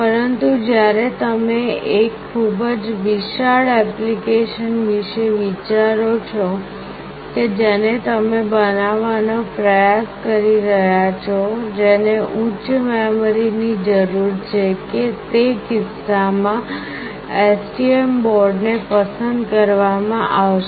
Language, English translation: Gujarati, But when you think of a very huge application that you are trying to build, which requires higher memory, in that case STM board will be preferred